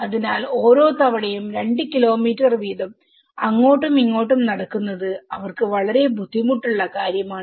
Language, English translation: Malayalam, So, every time walking two kilometres and coming back is a very difficult task for them